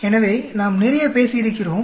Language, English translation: Tamil, So, we have talked quite a lot